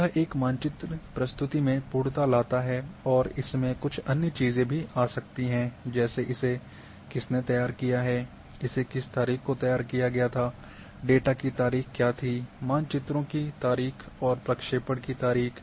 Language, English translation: Hindi, It brings completeness in a map presentation and some other things can also come like who has prepared what was the date of preparation ,what was the date of the data,date of the map and also the projection